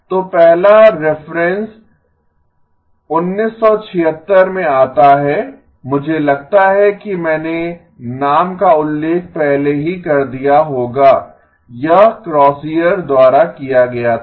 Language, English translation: Hindi, So the first reference comes in 1976, I think I may have mentioned the name already, it was by Crosier